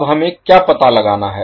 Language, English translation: Hindi, Now what we need to find out